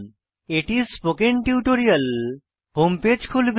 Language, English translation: Bengali, This will open the spoken tutorial home page